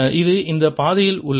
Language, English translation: Tamil, this is on this path